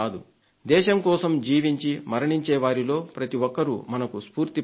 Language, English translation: Telugu, Everyone who lives and dies for our nation inspires us